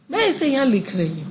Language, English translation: Hindi, Do you think I'm going to write it over here